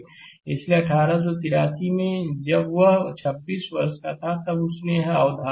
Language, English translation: Hindi, So, 1883, he give this concept when he was 26 years of age right